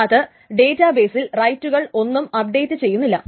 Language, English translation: Malayalam, It just simply does not update the rights in the database